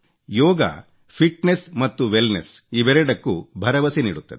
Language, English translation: Kannada, Yoga is a guarantee of both fitness and wellness